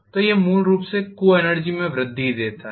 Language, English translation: Hindi, So this essentially gives in the increase in the co energy